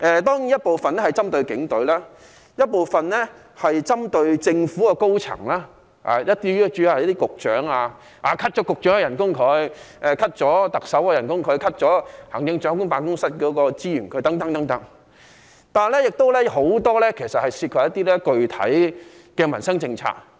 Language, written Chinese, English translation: Cantonese, 當然，有部分修正案是針對警隊，有部分是針對政府高層，主要是局長，如削減局長薪酬、削減特首薪酬、削減行政長官辦公室資源等，但亦有很多涉及具體的民生政策。, Am I right? . Certainly some of the amendments target the Police Force while some others target the highest echelon of the Government mainly Directors of Bureaux such as reducing the emoluments of Directors of Bureaux and those of the Chief Executive as well as trimming the resources for the Office of the Chief Executive . Nonetheless many of the amendments involve specific livelihood policies